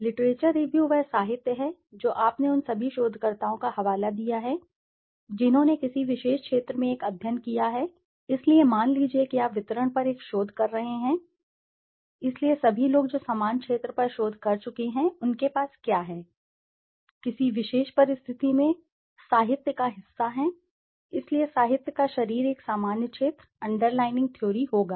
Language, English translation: Hindi, Literature review is the literature that you have cited of all those researchers who have done a study in the particular area, so suppose you are been doing a research on let us say distribution so all people who have done research on the similar area what they had to say in a particular circumstance would be part of the literature, okay, so the body of the literature would be a general area, underlying theory